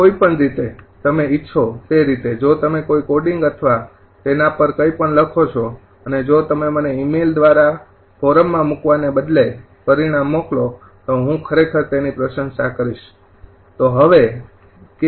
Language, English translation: Gujarati, if you write a, any coding or anything on that, and if you send me the result ah by email rather than footing in forum by email, i will really appreciate that